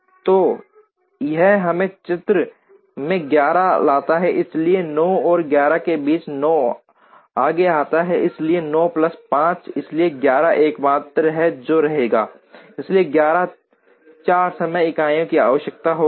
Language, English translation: Hindi, So, that brings us 11 into the picture, so between 9 and 11 9 comes ahead, so 9 plus 5, so 11 is the only one that remains, so 11 requires 4 time units